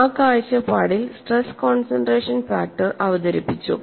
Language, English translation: Malayalam, From that point of view, stress concentration factor was introduced for many problems